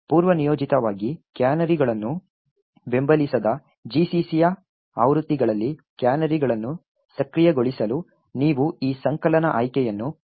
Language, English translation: Kannada, In order to enable canaries in versions of GCC which do not support canaries by default you could add these compilation option minus f –stack protector